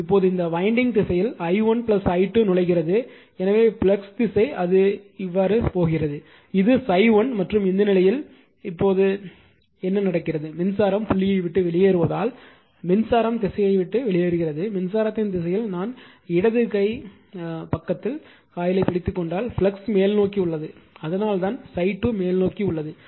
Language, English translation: Tamil, Now, in the direction of the flux for this winding for this winding i 1 plus i 2 entering, so it direction of the flux that if you put there it is it is actually going like this, this is phi 1 and in this case now in this case what is happening, that current is leaving the dot right as the current is leaving the dot that in the direction of the current if I wrap it the way on the left hand side, right hand side, if I wrap or grabs the coil like this the direction of flux is upward that is why phi 2 is upward